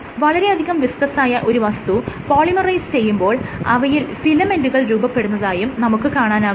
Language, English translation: Malayalam, So, you start off with the very viscous material, which then polymerizes and forms filaments